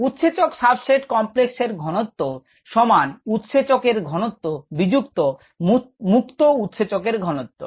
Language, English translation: Bengali, the concentration of the enzyme substrate complex is total concentration of the enzyme minus the concentration of the free enzyme